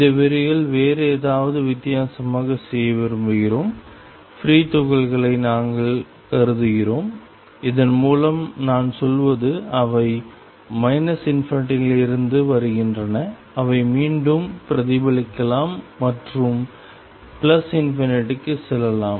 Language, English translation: Tamil, In this lecture, we want to do something different in this lecture, we consider free particles and by that I mean; they are coming from minus infinity may reflect back and go to plus infinity and so on